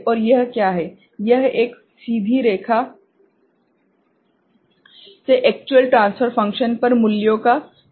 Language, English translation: Hindi, And what is it, this is the deviation of the values on the actual transfer function from a straight line ok